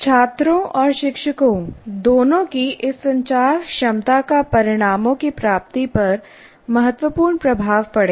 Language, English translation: Hindi, So this communicative competence of both students and teachers will have a great influence on the attainment of outcomes